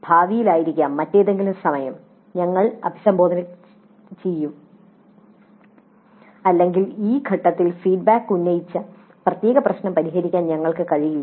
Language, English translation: Malayalam, Maybe in future some other time we can address but at this juncture we are not able to address that particular issue raised by the feedback